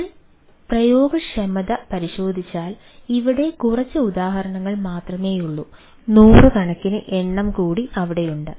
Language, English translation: Malayalam, and if we look at the applicability, there are few here, there are hundred more which can be their